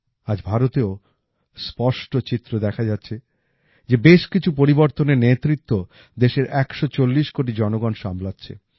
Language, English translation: Bengali, Today, it is clearly visible in India that many transformations are being led by the 140 crore people of the country